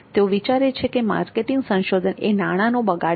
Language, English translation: Gujarati, They think that marketing research is a wastage of money